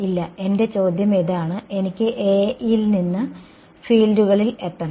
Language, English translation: Malayalam, No; my question is this, I have from A I want to get to fields right